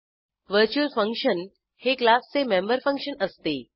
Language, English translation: Marathi, Virtual function is the member function of a class